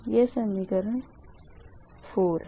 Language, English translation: Hindi, this is equation four